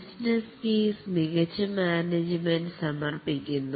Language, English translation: Malayalam, The business case is submitted to the top management